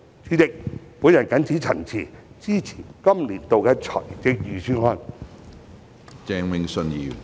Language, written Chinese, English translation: Cantonese, 主席，我謹此陳辭，支持《2021年撥款條例草案》。, With these remarks President I support the Appropriation Bill 2021